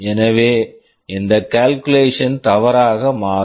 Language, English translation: Tamil, So, this calculation can become wrong